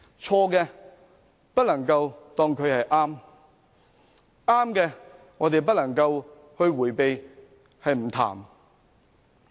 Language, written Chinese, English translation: Cantonese, 錯事不能當作是對的，對的亦不能避而不談。, We cannot talk black into white and sidestep the truth